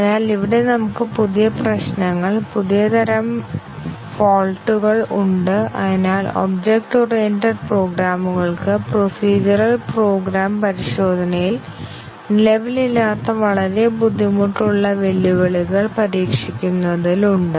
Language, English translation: Malayalam, So, here we have new problems, new types of faults and therefore, very difficult challenges in testing object oriented programs which did not exist in procedural program testing